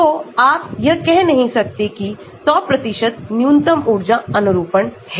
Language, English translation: Hindi, So, you cannot say all the 100% will be in the minimum energy conformation